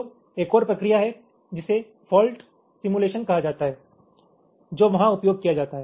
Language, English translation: Hindi, so there is another process, is called fault simulation, which is used there